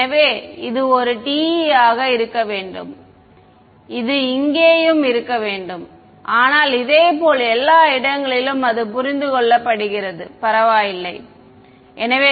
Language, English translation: Tamil, So, this should be a this should be a t also over here, but never mind similarly everywhere ok, so, it is understood